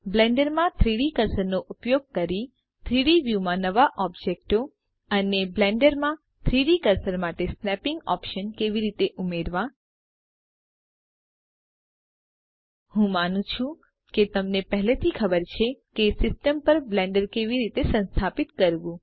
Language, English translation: Gujarati, How to add new objects to the 3D view in Blender using 3D cursor and the snapping options for 3D cursor in Blender I assume that you already know how to install Blender on your system